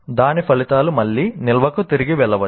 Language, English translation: Telugu, The results of that might be again go back to the storage